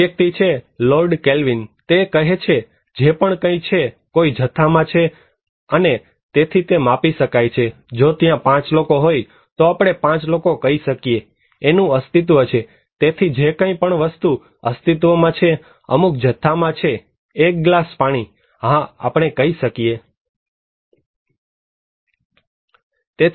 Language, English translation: Gujarati, There is a person Lord Kelvin, he is saying that anything that exists; exists in some quantity and can, therefore, be measured, if there are 5 people, we can say 5 people so, it exists so, anything that exists, that exists in some quantity, a glass of water; yes we can tell it